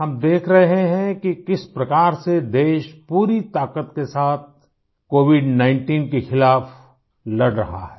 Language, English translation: Hindi, We are seeing how the country is fighting against Covid19 with all her might